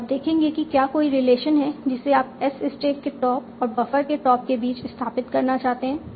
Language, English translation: Hindi, And you will see is there a relation you want to establish between the top of stack and top of buffer